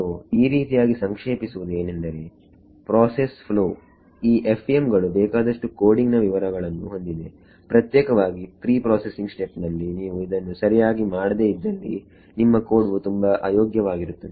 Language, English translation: Kannada, So, this sort of summarizes the process flow these the FEM has a lot of coding details that are there particularly in the pre processing step if you do not do it right your code can be very inefficient